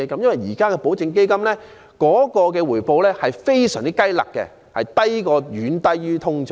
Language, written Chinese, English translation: Cantonese, 現時的保證基金的回報實可說是非常"雞肋"，遠低於通脹。, At present the returns on guaranteed funds can be described as far from being satisfactory because they are much lower than the inflation